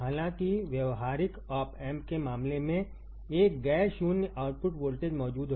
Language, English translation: Hindi, However in case of practical op amp a non zero output voltage is present